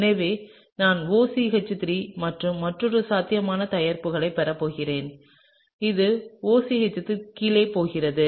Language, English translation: Tamil, So, I am going to get OCH3 and another possible product which is the OCH3 going down, right